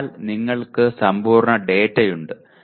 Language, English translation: Malayalam, So you have complete data